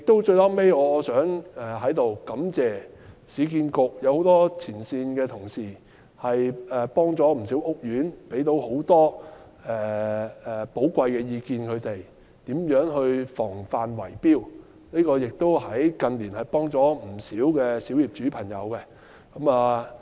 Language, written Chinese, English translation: Cantonese, 最後，我想在此感謝市建局的很多前線同事，協助了不少屋苑業主，向他們提供了不少寶貴意見，尤其在如何防範圍標方面，近年來協助了不少小業主。, Finally I wish to thank the frontline staff of URA for providing valuable advice and help to many home owners of housing estates particularly in how to prevent bid - rigging practice . They have really helped a lot of small property owners in recent years